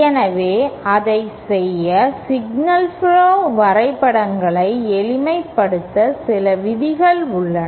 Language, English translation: Tamil, So, in order to do that, there are some rules for simplification of signal flow graphs